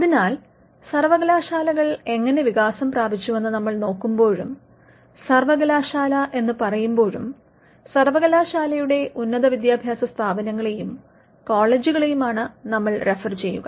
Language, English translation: Malayalam, So, if you look at how universities have evolved and when we refer to university, we refer to university’s higher educational institutions and colleges as well